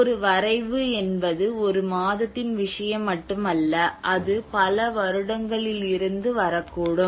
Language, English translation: Tamil, A draught is not just only a matter of one month, it may come from years of years or together